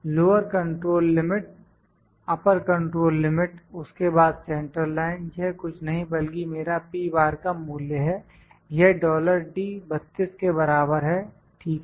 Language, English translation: Hindi, Lower control limit upper control limit then centerline central line central line is nothing, but my value of p bar this is equal to dollar d, dollar across the d 32, ok